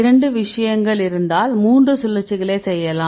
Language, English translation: Tamil, If there are two cases you can do it, 3 rotations you can do